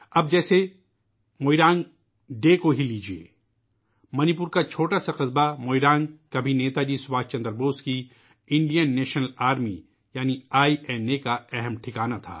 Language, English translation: Urdu, Now, take Moirang Day, for instance…the tiny town of Moirang in Manipur was once a major base of Netaji Subhash Chandra Bose's Indian National Army, INA